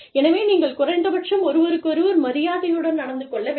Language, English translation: Tamil, You know, so, you must at least, you must treat each other, with respect